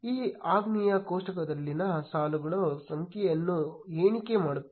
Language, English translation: Kannada, This command will count the number of rows in the table